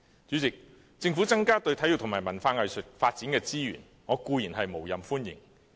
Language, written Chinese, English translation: Cantonese, 主席，政府增加對體育和文化藝術發展的資源，我固然無任歡迎。, Chairman the Governments increase in resources for the development of sports culture and arts is certainly most welcome to me